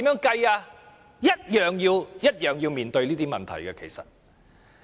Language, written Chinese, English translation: Cantonese, 其實亦同樣要面對這些問題。, The Government is also faced with such questions